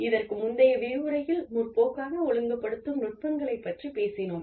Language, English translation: Tamil, Now, in the previous lecture, we spoke about, progressive disciplining techniques